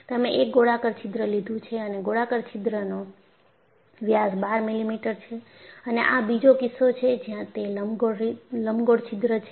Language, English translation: Gujarati, You have taken a circular hole, and the circular hole diameter is 12 millimeter, and this is another case where it is an elliptical hole